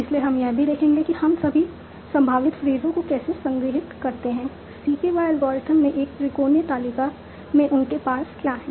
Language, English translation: Hindi, So we will also see that how do we store all the possible phrases,ges, what are their parsage, in a triangular table in the cK by algorithm